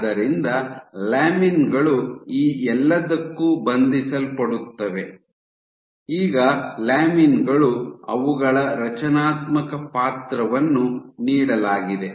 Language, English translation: Kannada, So, lamins are known to bind to all of these, now lamins, given their structural role they are associated